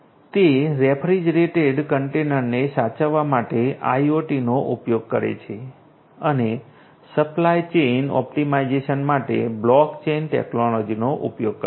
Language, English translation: Gujarati, It uses IoT for preserving refrigerated containers uses blockchain technology for supply chain optimization